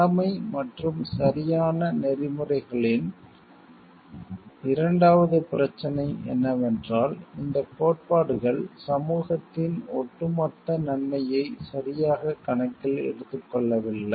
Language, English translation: Tamil, The second problem with duty and right ethics is that these theories do not account for the overall good of the society very well